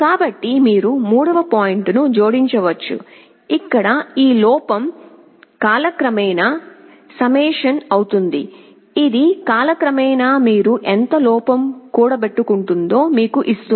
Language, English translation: Telugu, So, you can add a third point, where summation over time this error, this will give you how much error you are accumulating over time